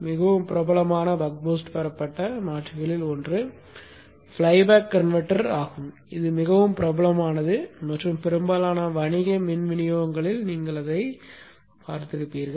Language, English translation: Tamil, One of the most popular Buck Boost derived converter is the flyback converter which is very very popular and you will see it in most of the commercial power supplies